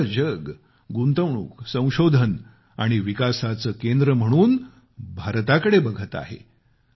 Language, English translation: Marathi, The whole world is looking at India as a hub for investment innovation and development